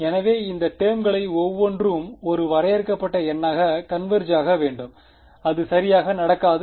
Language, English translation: Tamil, So, each of those terms should converge to a finite number and that will not happen right